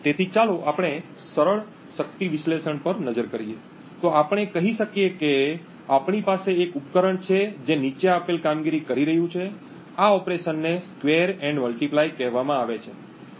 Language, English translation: Gujarati, So, let us look at simple power analysis, so let us say we have a device which is performing the following operation, the operation is called a square and multiply